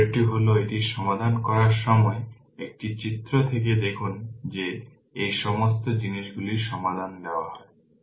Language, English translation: Bengali, That next is you when you solve it look from figure a that is all this things solutions are given to you right